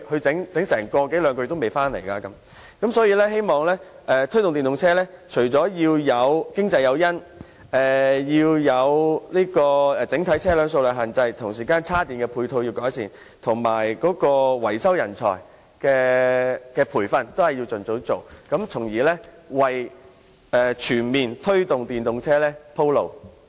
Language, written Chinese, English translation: Cantonese, 總結而言，我希望政府能就推動使用電動車提供經濟誘因、控制整體車輛的數量、改善充電的配套設施及盡早着手培訓電動車維修人才，從而為全面推動電動車普及化鋪路。, To conclude I hope that in its efforts to promote the use of EVs the Government could provide economic incentives contain the overall number of vehicles improve the ancillary charging facilities and expeditiously strengthen the training of vehicle mechanics for EVs so as to pave the way for the promotion of the popularization of EVs in a comprehensive manner